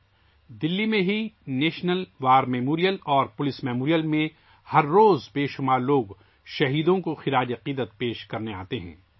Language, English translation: Urdu, Everyday many people come to pay respects to martyrs at the National War Memorial and Police Memorial in Delhi itself